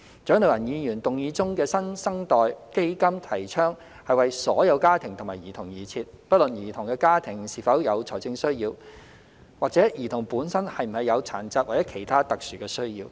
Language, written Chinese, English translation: Cantonese, 蔣麗芸議員議案中的"新生代基金"提倡為所有家庭及兒童而設，不論兒童的家庭是否有財政需要，或者兒童本身是否有殘疾或其他特殊需要。, The New Generation Fund advocated in Dr CHIANG Lai - wans motion is provided for all families and children regardless of whether the childrens families have financial needs or whether the children themselves have disabilities or other special needs